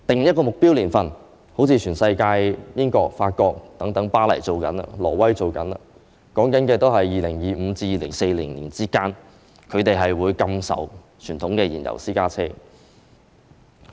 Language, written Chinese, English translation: Cantonese, 以"目標"來說，全世界例如英國、法國巴黎、挪威等地均已定下目標年份，即在2025年至2040年之間，開始禁售傳統燃油私家車。, Speaking about objective places around the world for example the United Kingdom Paris in France and Norway have already set their target years for commencing the prohibition of sale of conventional fuel - engined private cars